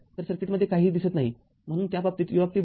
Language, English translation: Marathi, So, nothing is showing in the circuit, so in that case u t is equal to 0